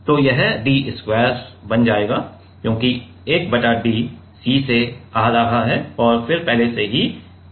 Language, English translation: Hindi, So, it will become d square right because, 1 by d is coming from the C and then already there was a d